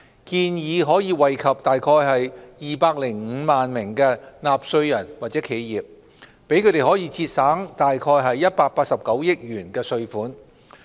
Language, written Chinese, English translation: Cantonese, 建議可惠及約205萬名納稅人或企業，讓他們節省約189億元稅款。, The proposal may benefit about 2.05 million taxpayers or enterprises saving them about 18.9 billion in taxes